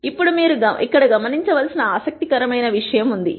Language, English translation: Telugu, Now, there is something interesting that you should notice here